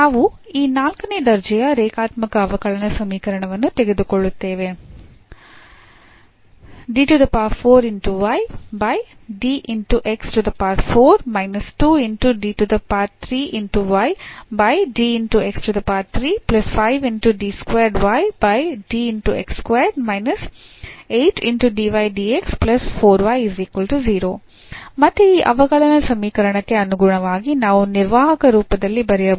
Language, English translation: Kannada, So, the example 2 we will take this fourth order linear differential equation, so again the corresponding to this differential equation we can write down in a operator form